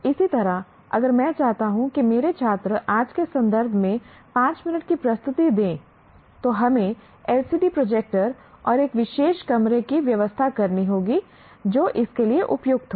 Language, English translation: Hindi, Similarly, another one, if I want my students to make a five minute presentation, in today's context you have to make arrangements for a LCD projector and a particular room that is appropriate for it and so on